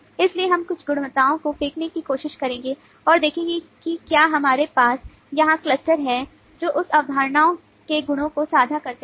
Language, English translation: Hindi, so we will try to throw in some concepts and see that do we have clusters here which shared the properties of that concept